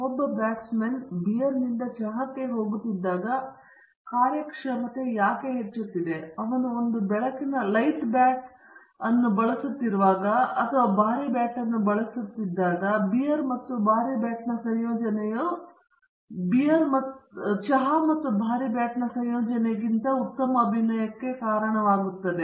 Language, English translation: Kannada, When a batsman is going from beer to tea the performance is increasing, when he is using a light bat; but when he is using a heavy bat, the combination of beer and heavy bat leads to better performance than the combination of heavy bat and tea okay